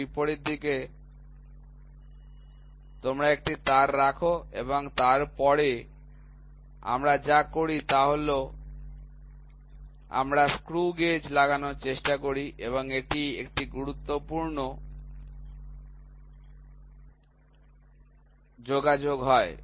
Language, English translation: Bengali, And, in the opposite side you keep one wire and then what we do is we try to put the screw gauge, and here it is a perfect contact, ok